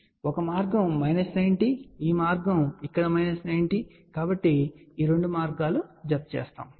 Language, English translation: Telugu, So, one path here minus 90 this path here minus 90, so these two paths will add up